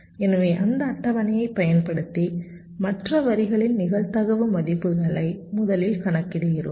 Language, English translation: Tamil, so we first calculate the probability values of the other lines, just using those tables